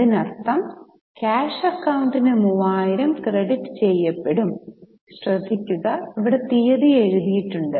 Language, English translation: Malayalam, That means the cash account is credited by 3,000 and here the date is written